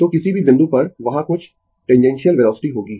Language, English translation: Hindi, So, at any point a some tangential velocity will be there